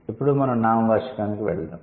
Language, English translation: Telugu, Now let's go to the noun